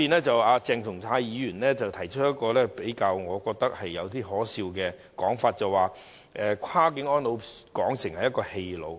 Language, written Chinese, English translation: Cantonese, 鄭松泰議員提出了一種我認為較可笑的說法，他將"跨境安老"描述為"跨境棄老"。, A point raised by Dr CHENG Chung - tai sounds quite ridiculous to me . He dismissed cross - boundary elderly care as cross - boundary abandoning of elderly people